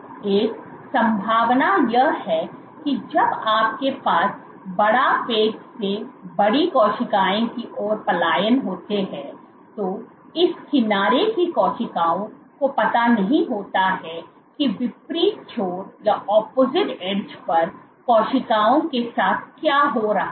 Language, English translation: Hindi, One possibility is when you have a bigger it cells from bigger patch migrating then the cells at this edge do not know of what happens what is happening to the cells at the opposite edge